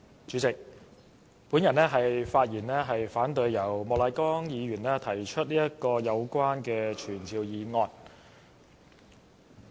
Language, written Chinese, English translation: Cantonese, 主席，我發言反對莫乃光議員提出有關的傳召議案。, President I speak in opposition to the motion moved by Mr Charles Peter MOK to summon the Secretary for Justice